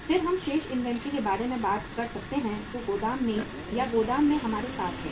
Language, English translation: Hindi, Then we can talk about the remaining inventory which is there with us in the warehouse or in the godown